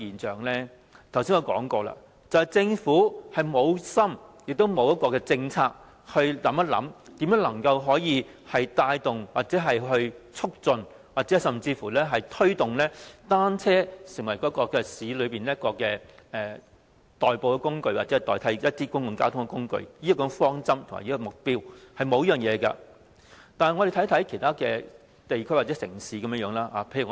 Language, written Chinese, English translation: Cantonese, 正如我剛才所說，政府無心，亦沒有一項政策，考慮如何能夠帶動、促進甚至推動單車成為市區內的代步工具或代替某些公共交通工具，政府並無考慮採取這種方針及目標。, As I mentioned just now the Government is not enthusiastic . It does not have any policy that gives consideration to how to stimulate promote and even push forward the use of bicycles as a means of travelling or a substitute for certain modes of public transport in the urban areas . The Government has not considered adopting this kind of direction or objective